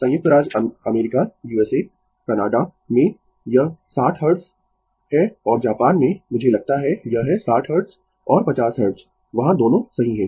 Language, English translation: Hindi, In USA, Canada, it is 60 Hertz and in Japan, I think it has 60 Hertz and 50 Hertz both are there right